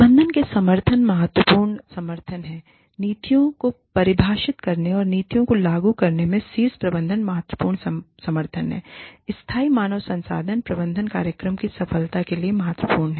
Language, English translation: Hindi, Support from the management is, critical support from the, is crucial support from the top management, involvement of the top management, in defining the policies, and implementing the policies, is critical to the success of the, sustainable human resources management program